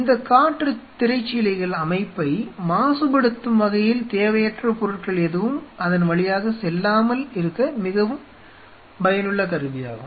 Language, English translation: Tamil, These wind curtains are very effective tool to ensure that no unnecessary material kind of passes through it to contaminate the system